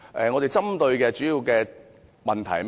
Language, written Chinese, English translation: Cantonese, 我們主要針對的問題是甚麼？, What are the problems we mainly seek to address?